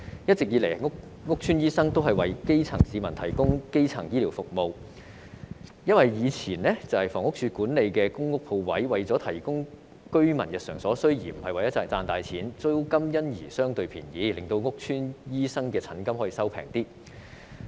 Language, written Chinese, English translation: Cantonese, 一直以來，屋邨醫生為基層市民提供基層醫療服務，因為以前房屋署所管理的公共屋邨鋪位是為了提供居民日常所需，不是為了賺錢，租金因而相對便宜，令屋邨醫生的診金可以便宜一點。, Doctors practising in public housing estates have all along been providing primary healthcare service to the grass roots . In the past as shops in public housing estates managed by the Housing Authority sought to cater for the daily needs of the residents instead of making a profit the rent was relatively low so were the consultation fees charged by doctors practising in public housing estates